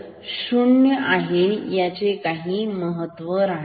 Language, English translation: Marathi, This level 0 is of no significance